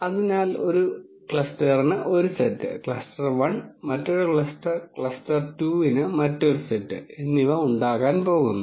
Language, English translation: Malayalam, So, there is going to be one set for one cluster, cluster 1 and there is going to be another set for the other cluster 2